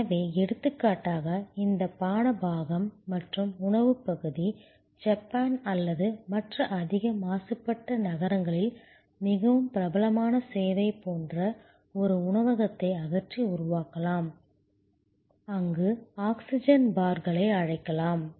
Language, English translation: Tamil, So, for example, this beverage part and food part, we can eliminate and create a restaurant like service, very popular in Japan or in other high polluted cities, there call oxygen bars